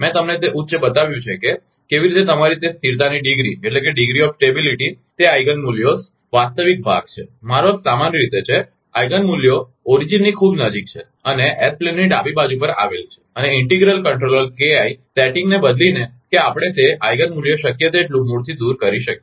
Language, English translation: Gujarati, I have showed you that high, how that your I that degree of stability, that is the Eigen values real part, I mean the in general, Eigen values is very close to the origin and lying on the left half of a base plane and by varying the integral controller k Eigen setting that we can shift that Eigen value as much as possible away from the origin